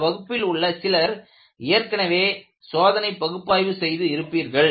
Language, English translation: Tamil, I know in this class, some of you have already done a course on experimental analysis